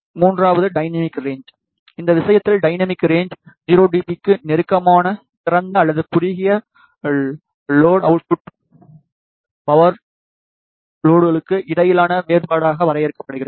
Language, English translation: Tamil, Third is the dynamic range, in this case the dynamic range is defined as the difference between the output power levels for open or short load which is close to 0 dB